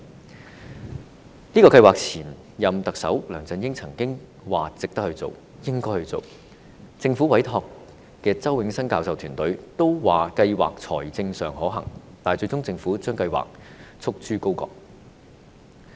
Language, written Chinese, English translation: Cantonese, 對於這個計劃，前任特首梁振英曾經表示值得推行、應該推行，政府委託的周永新教授團隊也認為，計劃在財政上可行，但最終政府卻將計劃束諸高閣。, Regarding the universal retirement protection scheme former Chief Executive LEUNG Chun - ying had said that it would be worth implementing and should be implemented . The team led by Prof Nelson CHOW commissioned by the Government also considered the scheme financially viable but the Government shelved it eventually